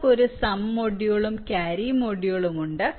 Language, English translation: Malayalam, ah, you have a sum module, you have a carry module